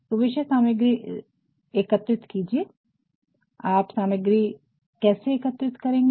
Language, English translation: Hindi, So, collect the material, how will you collect the material